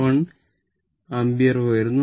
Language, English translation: Malayalam, 61 Ampere right